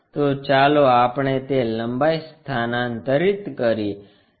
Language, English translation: Gujarati, So, let us transfer that lengths